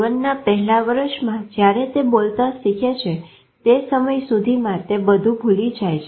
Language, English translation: Gujarati, In the first year of life, by the time they start speaking, they have forgotten everything